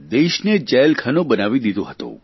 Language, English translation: Gujarati, The country was turned into a prison